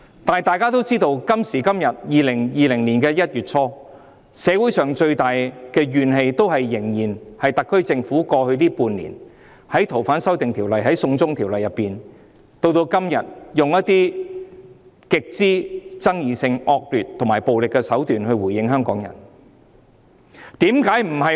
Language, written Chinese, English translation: Cantonese, 但大家也知道，今時今日，在2020年的1月初，社會上最大的怨氣仍然是針對特區政府在過去半年處理《逃犯條例》的修訂或"送中條例"時，一直使用一些極具爭議性、惡劣和暴力手段來回應香港人的訴求。, But as we all know the strongest grievance in society now in early January 2020 still centres around the fact that the SAR Government when handling the amendments to FOO or the China extradition law over the past six months has been adopting some extremely controversial unscrupulous and violent means to respond to the demands put forth by Hongkongers